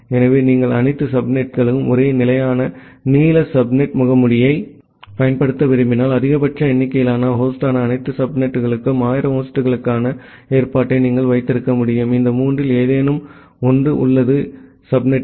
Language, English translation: Tamil, So, in case of if you want to use a fixed length subnet mask for all the subnets, then you can at least keep provision for 1000 host for all the subnets that is the maximum number of host, which is there in any of these three subnets S1, S2, and S3